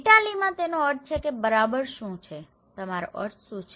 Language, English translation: Gujarati, In Italy, it means that what exactly, do you mean